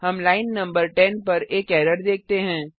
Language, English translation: Hindi, We see an error at line no 10